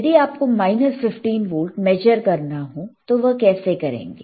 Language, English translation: Hindi, If you want to measure minus 15 volts, how you can measure this is plus 15 volts